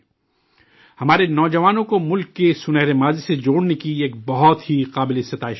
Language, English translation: Urdu, This is a very commendable effort to connect our youth with the golden past of the country